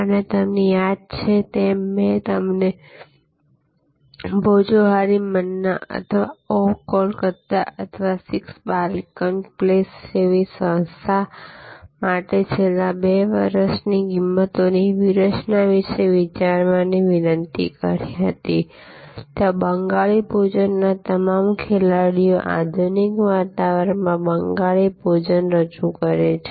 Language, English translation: Gujarati, And as you recall I had requested you to think about the pricing strategy for the last next 2 years for a service organization like Bhojohori Manna or Oh Calcutta or 6 Ballygunge place, there all players in the Bengali Cuisine offering Bengali Cuisine in modern ambience